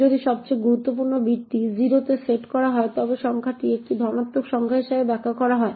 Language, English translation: Bengali, If the most significant bit is set is to 0 then the number is interpreted as a positive number